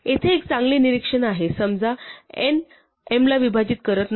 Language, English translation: Marathi, Here is a better observation suppose n does not divide m